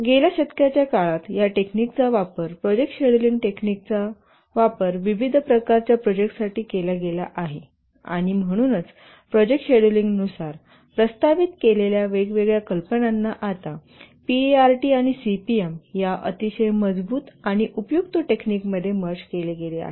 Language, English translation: Marathi, Over the years, that is over the last century or so, these techniques have been used, the project scheduling techniques for various types of projects and therefore different ideas that were proposed regarding project scheduling have now been merged into a very strong and useful technique, the POT and CPM